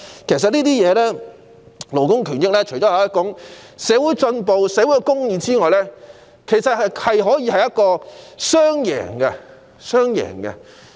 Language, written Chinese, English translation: Cantonese, 其實，勞工權益除可反映社會進步和社會公義外，還可以達致雙贏局面。, Actually apart from reflecting social progress and social justice labour rights may also bring forth a win - win situation